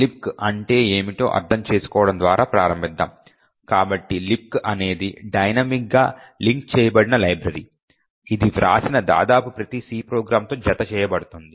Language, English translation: Telugu, Let us start of by understanding what LibC is, so LibC is a dynamically linked library that gets attached to almost every C program that is written